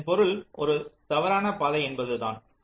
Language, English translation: Tamil, this means this is a false path